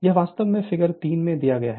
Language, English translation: Hindi, This is actually figure 3, this is actually figure 3